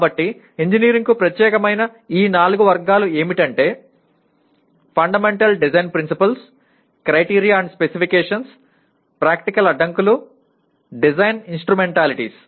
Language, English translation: Telugu, So these four categories specific to engineering are Fundamental Design Principles, Criteria and Specifications, Practical Constraints, Design Instrumentalities